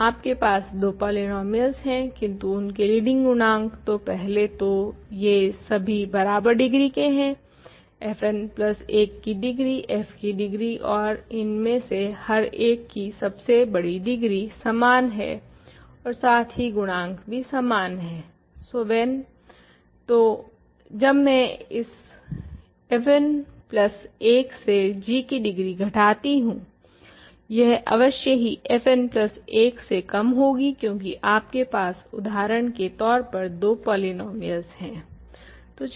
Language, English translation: Hindi, So, you have a sum of polynomials the leading coefficient all this polynomials have the same degree right, because this degree is degree f n plus 1, this degree is degree f n plus 1, this degree is degree f n plus 1